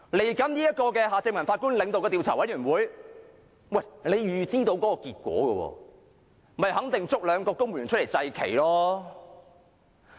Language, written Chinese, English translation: Cantonese, 接下來，前法官夏正民領導的調查委員會，其實大家已能預知結果，肯定便是推兩個公務員出來"祭旗"。, In fact we can foresee the findings of the Commission of Inquiry led by former Judge Mr Michael John HARTMANN . We are certain that a couple of civil servants will be named to take the blame